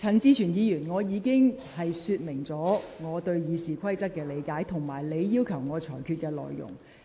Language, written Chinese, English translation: Cantonese, 陳志全議員，我已就我對《議事規則》的理解及你要求我裁決的內容作出說明。, Mr CHAN Chi - chuen I have already given an explanation in respect of my understanding of the Rules of Procedure and the matter on which you ask for my ruling